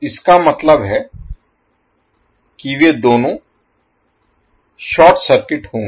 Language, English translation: Hindi, It means that both of them will be short circuited